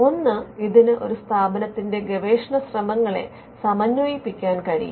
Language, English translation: Malayalam, One, it can synchronize the research efforts of an institution